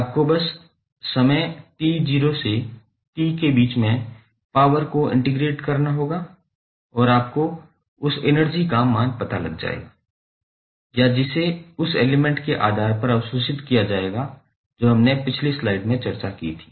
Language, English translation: Hindi, You have to just simply integrate the power with respect to time between t not to t and you will get the value of energy supplied or absorbed by the element based on the convention which we discussed in the previous slide